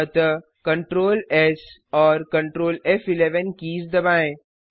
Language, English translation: Hindi, So press Ctrl,S and Ctrl , F11